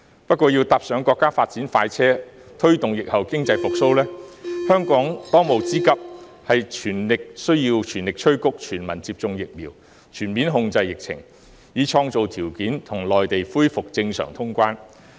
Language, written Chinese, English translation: Cantonese, 不過，香港要坐上國家發展快車，推動疫後經濟復蘇，當務之急是全力催谷全民接種疫苗，全面控制疫情，以創造條件與內地恢復正常通關。, However in order for Hong Kong to get on board the express train of national development and promote post - pandemic economic recovery the most urgent task is to press ahead with universal vaccination and bring the epidemic situation under full control so as to create conditions conducive to resuming normal cross - border travel with the Mainland